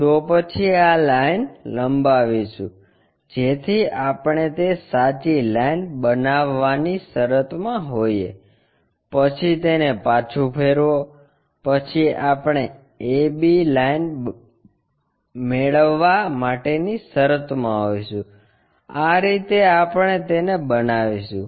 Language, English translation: Gujarati, Then extend this line so, that we will be in a position to construct that true line, then, rotate it back, then we will be in a position to get that AB line, this is the way we construct it